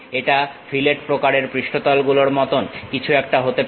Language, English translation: Bengali, This might be something like a fillet kind of surfaces